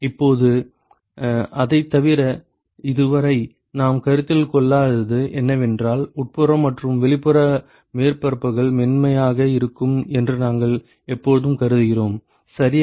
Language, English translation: Tamil, Now, in addition to that what we never considered so far is we always assume that the inside and the outside surfaces are smooth, ok